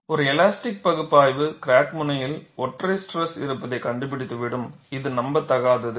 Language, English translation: Tamil, An elastic analysis predicts singular stresses at the crack tip, which is unrealistic